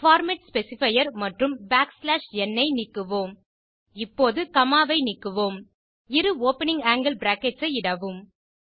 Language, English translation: Tamil, Delete the format specifier and \n Now delete the comma Type two opening angle brackets